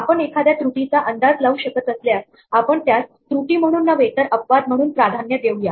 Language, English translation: Marathi, If we can anticipate an error we would prefer to think of it not as an error, but as an exception